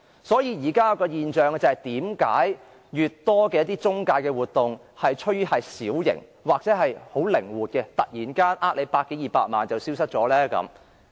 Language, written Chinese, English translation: Cantonese, 所以，為何現時的中介活動趨於小型，又或是很靈活的，突然間騙取百多二百萬元後便消失？, So why is it that intermediary activities now tend to be small in scale or carried out with great flexibility as they would strike suddenly to cheat people of some 1 million or 2 million and then disappear?